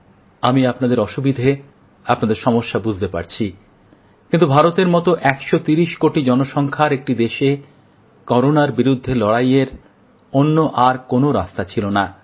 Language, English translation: Bengali, But in order to battle Corona in a country of 130 crore people such as India, there was no other option